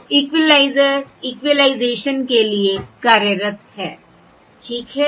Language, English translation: Hindi, So an equaliser is employed for equalisation